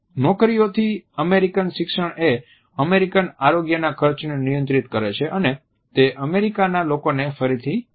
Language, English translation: Gujarati, From jobs American education control American health care costs and bring the American people together again